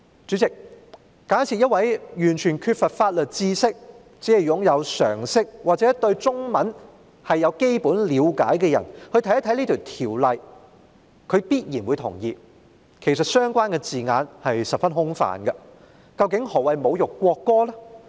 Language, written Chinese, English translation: Cantonese, 主席，假設一名完全缺乏法律知識，只具備常識或對中文有基本了解的人看到這項條文，他必然會同意相關字眼其實十分空泛，究竟何謂"侮辱國歌"呢？, Chairman assuming that a person who knows nothing about law but has only common sense or a basic understanding of the Chinese language reads this provision he will surely agree that the relevant wording is extremely vague indeed . What exactly does insult the national anthem refer to?